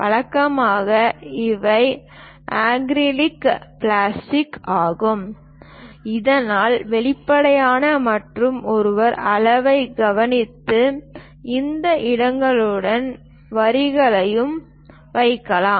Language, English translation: Tamil, Usually, these are acrylic plastics, so that transparent and one can note the scale and put the lines along these slots also